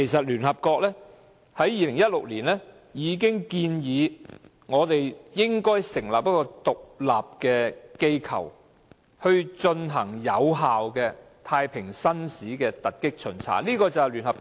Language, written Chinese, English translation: Cantonese, 聯合國在2016年已建議我們成立一個獨立機構，進行有效的太平紳士突擊巡查行動。, Back in 2016 the United Nations already recommended the establishment of an independent organization in Hong Kong to arrange effective blitz inspections by JPs